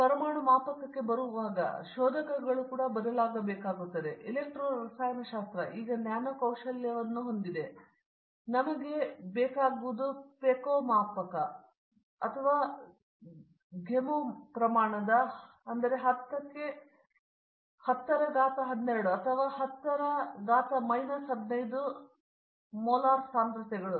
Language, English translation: Kannada, Now when we it is coming to the atomic scale the probes also have to change for example, electro chemistry it can now do nano skill, but what we want is peco scale or femto scale, 10 to the power of 12 or 10 to the power of minus 15 molar concentrations